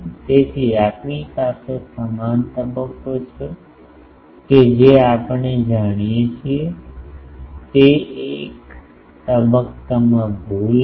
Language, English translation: Gujarati, So, uniform phase we have we know that there will be a phase error